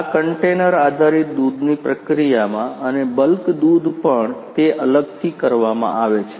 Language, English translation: Gujarati, In the processing of this container based milk and also the bulk milk it is done separately ah